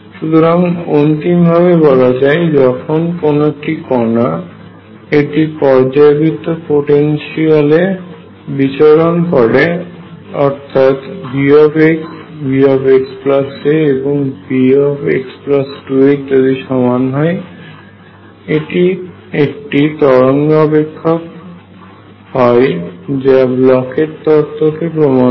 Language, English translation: Bengali, So, conclusion when a particle is moving in a periodic potential, V x equals V x plus a is equal to V x plus 2 a and so on, it is wave function satisfies the Bloch’s theorem